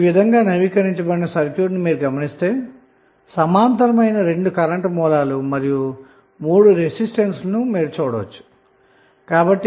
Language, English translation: Telugu, So now, you have got updated circuit from this if you see this circuit you can easily see that there are two current sources in parallel and three resistances in parallel